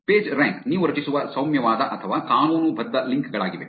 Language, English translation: Kannada, Pagerank is benign or legitimate links that you create